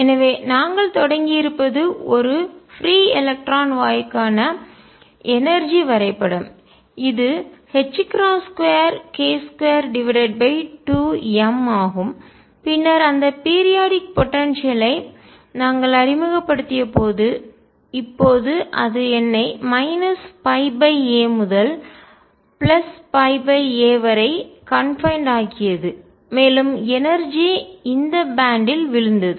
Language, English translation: Tamil, So, what we started with was the energy diagram for a free electron gas which was h cross square k square over 2 m, and then when we introduced that periodic potential I can now confine myself between minus pi by a to pi by a, the energy fell into this band